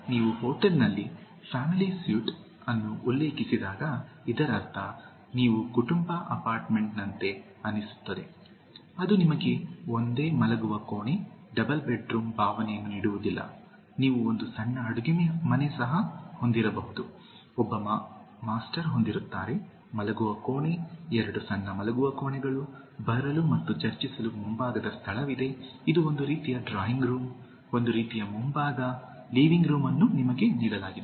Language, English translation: Kannada, So when you refer to family suite in a hotel, it means that you will just like feel like a family apartment it will not give you a feeling of a single bedroom, double bedroom, you may even have a small kitchen, will have one master bedroom, two small bedrooms, there is a front space for coming and discussing, it’s a kind of drawing room, kind of front one, the living room is given to you